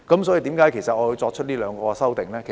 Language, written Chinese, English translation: Cantonese, 所以，為何我要提出這兩項修訂呢？, Why do I have to propose these two amendments?